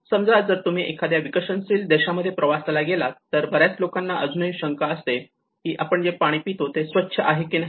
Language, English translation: Marathi, Like if you ever travelled in the developing countries many people even still doubt whether the water we are drinking is safe or not